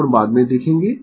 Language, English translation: Hindi, Angle we will see later